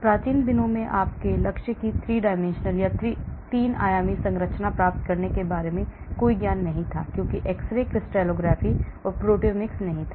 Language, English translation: Hindi, In ancient days there was no knowledge about getting the 3 dimensional structure of your target because x ray crystallography, proteomics was not there